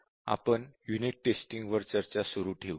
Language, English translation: Marathi, So, we will continue our discussion on Unit Testing